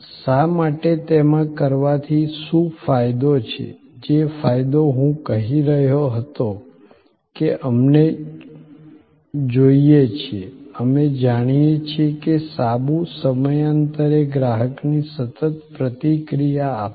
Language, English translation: Gujarati, Why, what is the advantage doing in that, the advantage that I was saying that, we want, we know that soap will provide a consistent consumer reaction, time after time